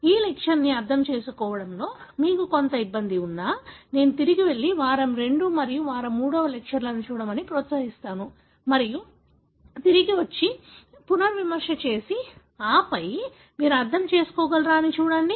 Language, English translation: Telugu, So, even if you are having some difficulty in understanding this lecture, I would encourage you to go back and watch the, week II and week III lectures and come back and revise and, and then see whether you can understand